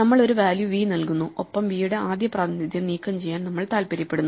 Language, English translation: Malayalam, We provide a value v and we want to remove the first occurrence of v